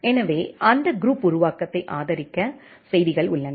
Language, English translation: Tamil, So, the messages are there to support that group creation